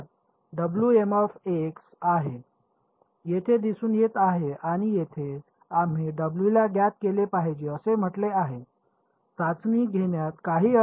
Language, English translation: Marathi, So, the unknown is here now W m is appearing over here and here we said W should be known, there is no point in testing with the unknown something